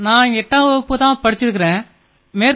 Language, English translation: Tamil, I have studied up to class 8th